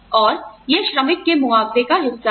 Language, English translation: Hindi, And, that is part of the worker